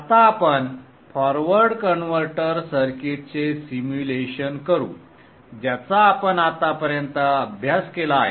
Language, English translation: Marathi, Let us now perform a simulation of the forward converter circuit that we have studied till now